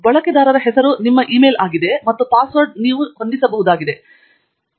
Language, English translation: Kannada, The user name is your e mail itself and the password is what you can set